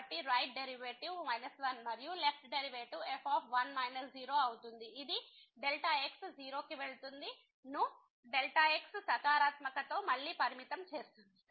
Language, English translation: Telugu, So, the right derivative is minus 1 and the left derivative minus which is limit goes to 0 again with negative